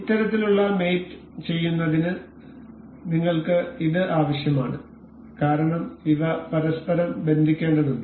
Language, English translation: Malayalam, To do to do this kind of mate, we need this because these are supposed to be hinged to each other